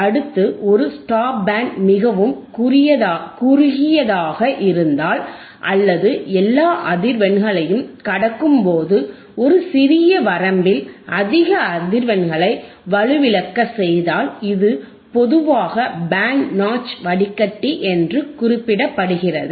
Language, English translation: Tamil, Next if a “stop band” is very narrow or highly attenuated over a small range of frequencies, your stop band is extremely narrow or highly attenuated over a small range of frequencies, while passing all other frequencies, it is more commonly referred as “Band Notch Filter”